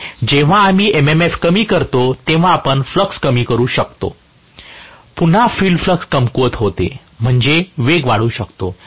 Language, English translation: Marathi, So, when we reduce the M M F, we are going to reduce the flux, again field weakening takes place, which means the speed can increase